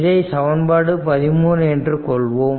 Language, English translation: Tamil, So, this is equation 13